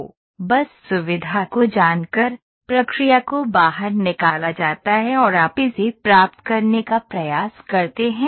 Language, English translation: Hindi, Just by knowing the feature you see now the process is pulled out and you try to get it